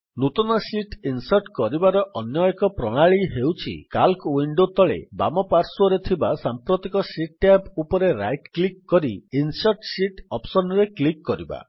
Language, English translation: Odia, Another method for inserting a new sheet is by right clicking on the current sheet tab at the bottom left of the Calc window and clicking on the Insert Sheet option